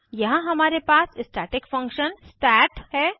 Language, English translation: Hindi, Here we have a static function stat